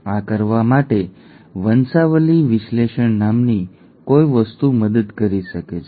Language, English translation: Gujarati, To do this, something called a pedigree analysis can help